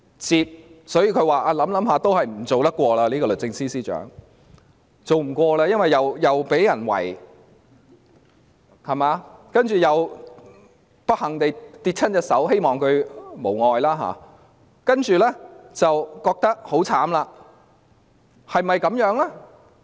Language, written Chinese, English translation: Cantonese, 是否經考慮後認為還是別當律政司司長了，因為既會被人包圍，又不幸跌傷手部——我希望她無礙——所以覺得自己很可憐？, Or was it because she after consideration did not want to be the Secretary for Justice anymore as she felt miserable for her hand was hurt after being besieged? . On a side note I wish she gets well soon